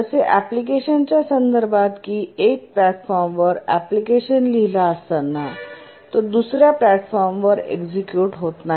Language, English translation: Marathi, If you run an application, you write an application on one platform, it will not run on another platform